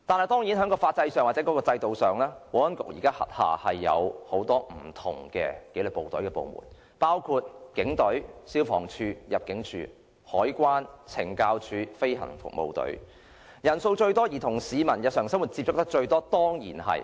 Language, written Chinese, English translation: Cantonese, 當然在法制上或制度上，保安局現時轄下有很多紀律部隊部門，包括警隊、消防處、入境事務處、海關、懲教署、飛行服務隊，當中以警隊人數最多，與市民日常生活接觸最緊密。, Under the current structure or system many disciplined services are under the Security Bureau including the Police Force the Fire Services Department FSD the Immigration Department the Customs and Excise Department the Correctional Services and the Government Flying Service . Among them the Police Force has the largest number of personnel and the most frequent daily contact with the public